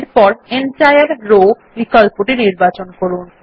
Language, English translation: Bengali, Next I choose Entire Row option